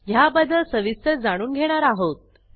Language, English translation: Marathi, We will learn about this in detail